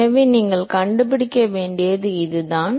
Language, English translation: Tamil, So, that is what you will have to find